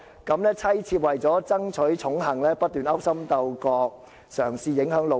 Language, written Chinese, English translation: Cantonese, 各妻妾為了爭取寵幸，不斷勾心鬥角......嘗試影響'老爺'。, To win his favour his wife and concubines kept plotting and scheming against each other in an attempt to influence the Master